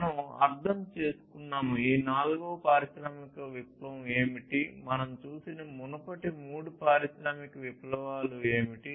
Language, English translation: Telugu, We have understood, what is this fourth industrial revolution, what were what were the previous three industrial revolutions that we have seen